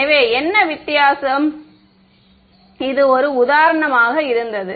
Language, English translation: Tamil, So, what was the difference between; so, for example, this was